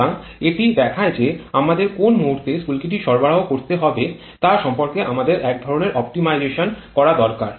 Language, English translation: Bengali, So, that shows that we need to do some kind of optimization regarding at which instant we have to provide the spark